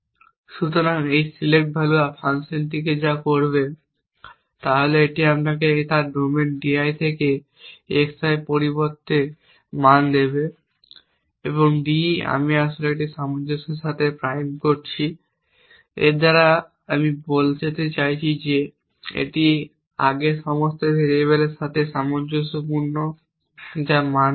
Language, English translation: Bengali, So, what this select value function will do is it will give me the next value for xi from its domain d i; d i prime actually with this consistent by this you mean it is consistent with all the previous variables that have been given values